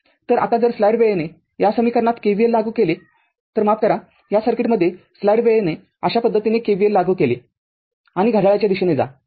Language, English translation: Marathi, So, now, if you apply KVL in this equation, if you apply KVL in this equation sorry in this circuit if you apply KVL Like this and moving clockwise